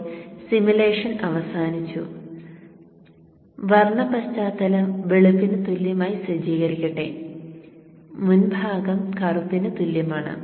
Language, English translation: Malayalam, Now coming back to here the simulation is over and let me set color background equals white, set color foreground equals white, set color foreground equals black